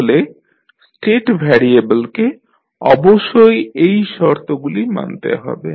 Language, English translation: Bengali, So state variable must satisfy the following conditions